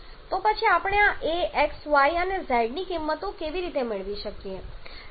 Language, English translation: Gujarati, Then how can we get the values of this a, x, y and z